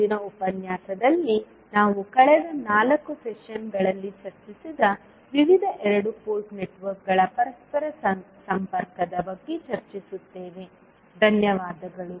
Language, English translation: Kannada, In next lecture we will discuss about the interconnection of various two port networks which we have discussed in last 4 sessions, thank you